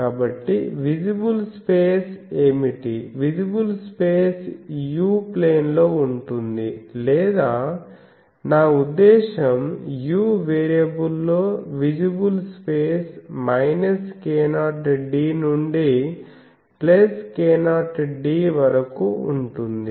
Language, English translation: Telugu, So, what will be the visible space, visible space is in the u plane or in the I mean u variable, the visible space will be from minus k 0 d to plus k 0 d